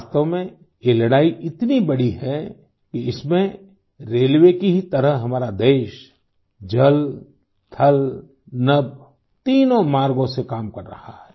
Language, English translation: Hindi, In fact, this battle is so big… that in this like the railways our country is working through all the three ways water, land, sky